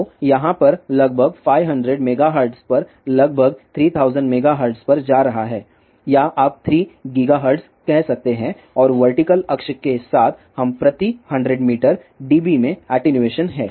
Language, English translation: Hindi, So, one can see here this about 500 megahertz going all the way to about 3000 megahertz or you can say 3 gigahertz and along the vertical access, we have attenuation in dB per 100 meter